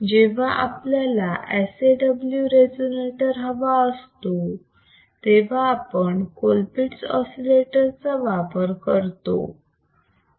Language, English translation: Marathi, W which when we want to have sawSAW resonator, we can use Colpitt’s oscillator